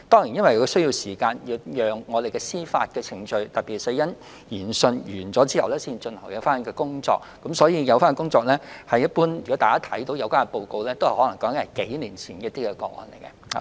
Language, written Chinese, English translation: Cantonese, 然而，由於司法程序需時，而該委員會須待死因研訊完成後才可展開工作，所以現已公開的委員會報告可能是關於數年前的個案。, However owing to the lengthy judicial procedures and the fact that CFRP will not be able to commence any review till the conclusion of death inquest the CFRPs child fatality review reports currently available for public access are probably about cases happened years ago